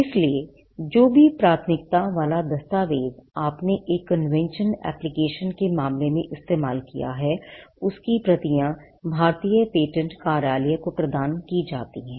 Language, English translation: Hindi, So, whatever priority document that you used in the case of a convention application, copies of that has to be provided to the Indian patent office